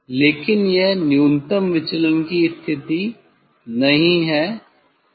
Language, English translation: Hindi, but it is not the minimum deviation position